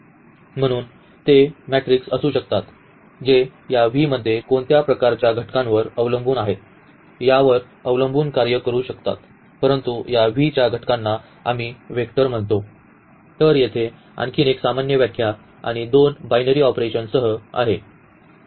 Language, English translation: Marathi, So, they can be matrices they can be functions depending on what type of elements this V contain, but the elements of this V we will call vector, so, a little more general definition here and together with two binary operations